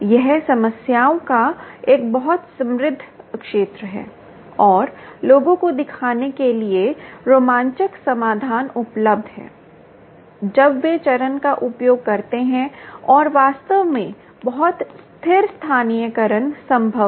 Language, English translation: Hindi, its a very rich area of problems and exciting solutions are available for people to look up when they when they use phase and in fact very stable localizations are possible